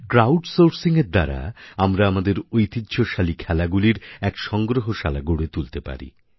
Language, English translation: Bengali, Through crowd sourcing we can create a very large archive of our traditional games